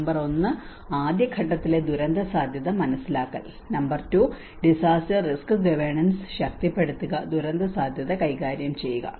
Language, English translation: Malayalam, Number one, understanding the disasters risk in the first stage, number 2, strengthening the disaster risk governance and the manage disaster risk